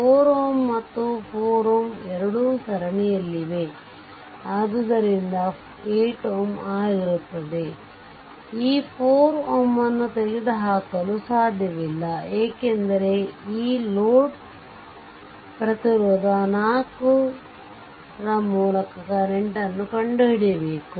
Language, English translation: Kannada, All the 4 and this 4 and this 4, both are in series, so effective will be 8 ohm, but you cannot you cannot remove this 4 ohm because you have to find out the current through this load resistance 4 ohm right